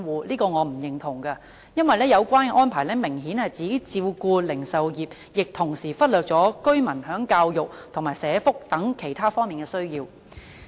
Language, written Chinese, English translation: Cantonese, 我對此是不認同的，因為有關的安排明顯只照顧零售業，忽略了居民在教育及社福等其他方面的需要。, I do not agree with it as such arrangements obviously only cater for the retail industry at the expense of residents needs for education social welfare etc